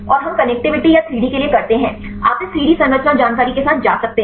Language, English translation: Hindi, And we do the connectivity or for the 3D; you can go with this 3D structure information then